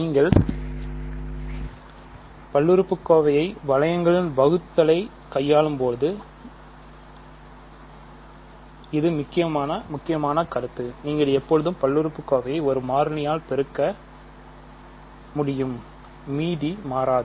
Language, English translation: Tamil, So, the important point when you are dealing with division in polynomial rings is you can always multiply the polynomial by a constant; reminder does not change